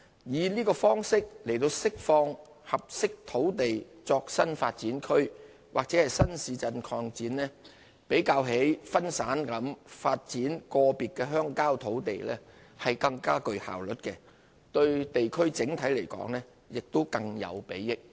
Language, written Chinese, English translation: Cantonese, 以這方式釋放合適土地作新發展區/新市鎮擴展較分散地發展個別鄉郊土地更具效率，對地區整體亦更有裨益。, Such strategy for releasing suitable land for new development areasnew town extension is more effective than developing individual parcels of rural land and can also better benefit the areas overall